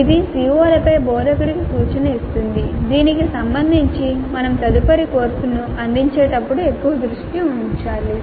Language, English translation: Telugu, This will give an indication to the instructor on the COs regarding which the focus has to be more next time we deliver the course